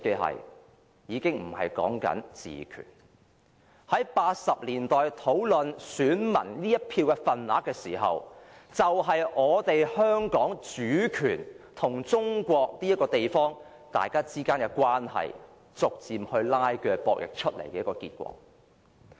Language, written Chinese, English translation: Cantonese, 在1980年代討論選民這一票的份額時，就是我們香港主權和中國這個地方之間的關係，逐漸拉鋸、角力出來的結果。, In the 1980s the discussions on the weights of peoples votes were in fact the manifestation of the tug - of - war concerning how the sovereignty over Hong Kong should be related to the place called China